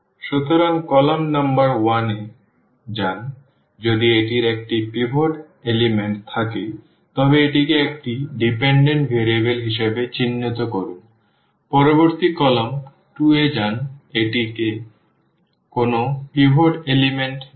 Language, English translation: Bengali, So, go to the column number 1, if it has a pivot element mark this as a dependent variable; go to the next column 2, it does not have a pivot element